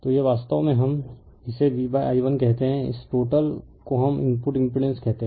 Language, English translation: Hindi, So, this is actually we call V upon i 1, this total we call the input impedance